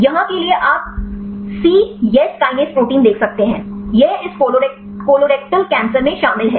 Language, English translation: Hindi, For here you can see the cyes kinase protein; this is involved in this colorectal cancer